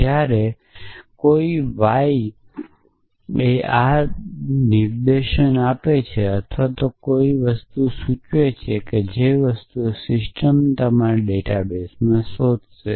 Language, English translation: Gujarati, Then you could ask a query whether you know Jane is an ancestor of someone or things like that and the system will search in your database